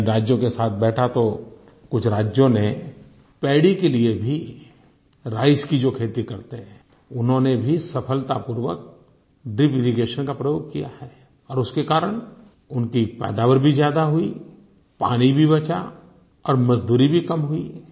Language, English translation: Hindi, When I discussed with the eleven states, I noticed that even for cultivating paddy for production of rice, some of them had employed drip irrigation successfully and got higher yields, thereby also reducing the requirement for water as well as for labour